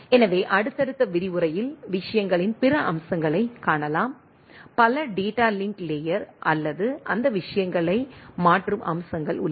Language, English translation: Tamil, So, in subsequent lecture will see other aspect of the things, there are several data link layer or switching aspect those things